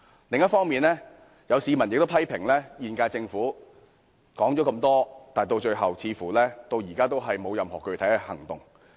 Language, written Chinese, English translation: Cantonese, 另一方面，有市民批評現屆政府提出這麼多建議，但最後似乎仍未有任何具體行動。, On the other hand some members of the public have criticized that while the incumbent Government has raised so many suggestions it seems to have taken no specific action in the end